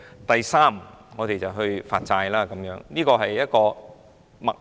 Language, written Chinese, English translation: Cantonese, 第三步就是發債，這是一個脈絡。, The third step is issuance of bonds . This is the workflow